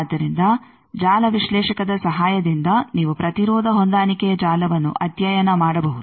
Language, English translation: Kannada, So, with the help of the network analyser you can study impedance matching network